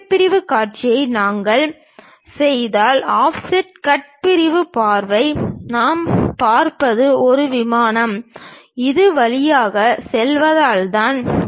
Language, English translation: Tamil, If we do that the cut sectional view, the offset cut sectional view what we will see is because of a plane pass through this